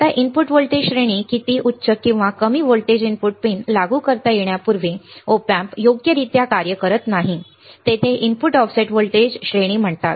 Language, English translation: Marathi, Now, input voltage range high how high or low voltage the input pins can be applied before Op amp does not function properly there is called input offset voltage ranges